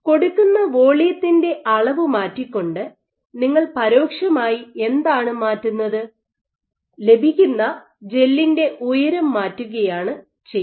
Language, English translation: Malayalam, So, what indirectly you are changing by changing the amount of volume that you are putting is you are changing the height of the gel that you get